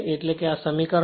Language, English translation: Gujarati, Now, equation 4